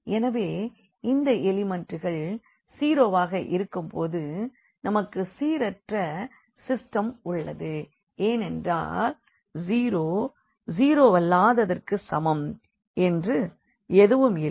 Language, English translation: Tamil, So, if these elements are 0 here then we have that the system is consistent because there is nothing like 0 is equal to nonzero in that case